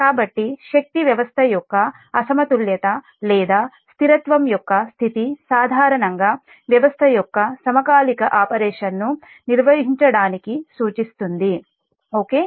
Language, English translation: Telugu, so therefore, the state of equilibrium or stability of a power system commonly alludes to maintaining synchronous operation, synchronous operation of the system, right